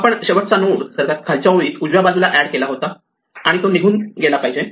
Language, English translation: Marathi, The last node that we added was the one at the right most end of the bottom row and that must go